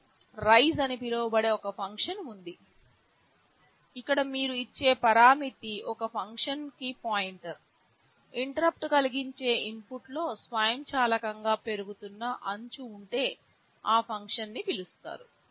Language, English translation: Telugu, There is a function called rise, where a parameter you give is a pointer to a function; this means if there is a rising edge on the interrupt input automatically that function will be called